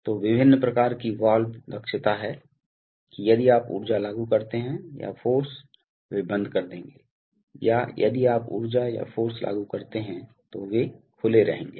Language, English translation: Hindi, So, there are various kinds of valves efficiency that if you apply energy or force they will close or if you apply energy or force they will be open